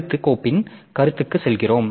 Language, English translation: Tamil, Next we go to the concept of file